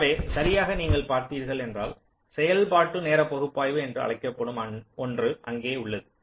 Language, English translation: Tamil, so just, you look at there is something called functional timing analysis